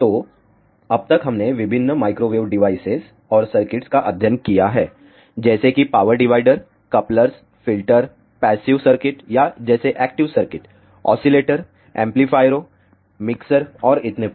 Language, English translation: Hindi, So, far in the course we have studied various Microwave Devices and Circuits, be it passive circuits like power dividers, couplers, filters, or active circuits like; oscillators, amplifiers, mixers and so on